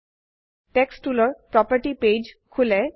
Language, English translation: Assamese, Text tools property page opens